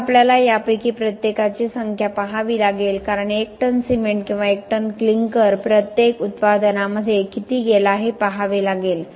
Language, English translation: Marathi, Next what we will have to do is to look at the numbers for each of this for say a ton of cement or a ton of clinker will have to see how much of each went into the products